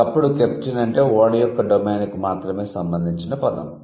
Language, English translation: Telugu, So, there was a time when captain means it was related to only the domain of ship